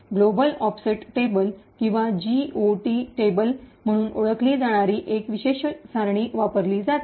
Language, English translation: Marathi, A special table known as Global Offset Table or GOT table is used